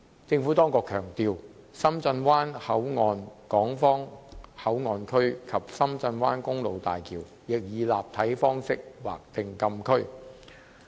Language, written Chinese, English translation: Cantonese, 政府當局強調，深圳灣口岸港方口岸區及深圳灣公路大橋亦以立體方式劃定禁區。, The Administration stressed that the three - dimensional designation approach was also adopted for the Shenzhen Bay Port Hong Kong Port Area and the Shenzhen Bay Bridge